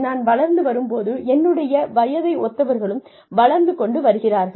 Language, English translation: Tamil, When I was growing up, when people in my age group were growing up, when people senior to me were growing up